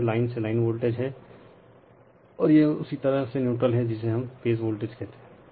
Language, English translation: Hindi, So, this is line to line voltage, and this is your line to neutral we call phase voltage